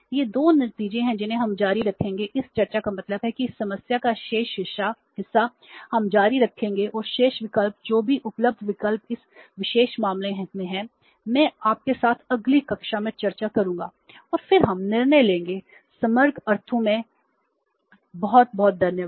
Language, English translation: Hindi, We will continue this discussion means the remaining part of this problem we will continue and the remaining options whatever the options available are in this particular case I will discuss with you in the next class and then we will take the decision in the holistic sense